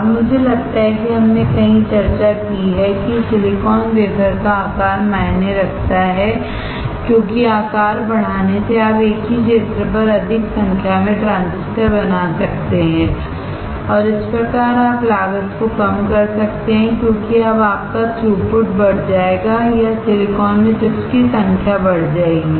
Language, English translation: Hindi, Now, I think we have discussed somewhere that the size of the silicon wafer matters because increasing the size you can fabricate more number of transistors onto the same area and thus you can reduce the cost because now you are throughput will increase or the number of chips on the silicon will increase